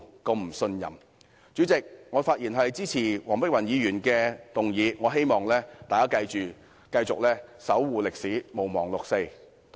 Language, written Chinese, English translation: Cantonese, 代理主席，我發言支持黃碧雲議員的議案，希望大家繼續守護歷史，毋忘六四。, Deputy President I have spoken in support of Dr Helena WONGs motion . I hope we will all continue to protect history and not forget the 4 June incident